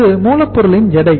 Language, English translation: Tamil, Weight of the raw material